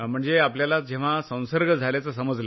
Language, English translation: Marathi, You mean when you came to know of the infection